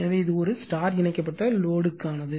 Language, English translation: Tamil, So, this is for a star connected load